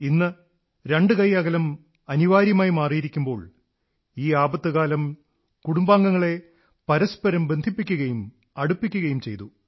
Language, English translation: Malayalam, Today, when the two yard social distancing has become imperative, this very crises period has also served in fostering bonding among family members, bringing them even closer